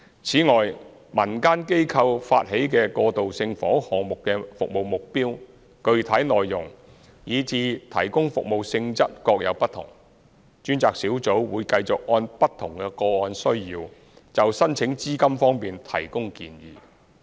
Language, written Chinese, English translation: Cantonese, 此外，民間機構發起的過渡性房屋項目的服務目標，具體內容，以至提供服務性質各有不同，專責小組會繼續按不同個案的需要，就申請資金方面提供建議。, Moreover since the service targets specific details and service nature are varied in different transitional housing projects initiated by community organizations the task force will continue to offer advice on funding application in accordance with the needs of different cases